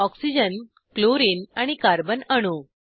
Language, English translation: Marathi, Oxygen, chlorine and the carbon atom